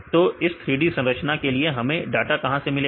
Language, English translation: Hindi, So, where we get the data for this 3d structures